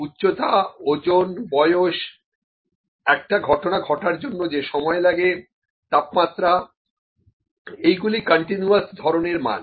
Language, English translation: Bengali, Height, weight, age, the time taken to complete an event, then the temperature, these are all continuous kind of values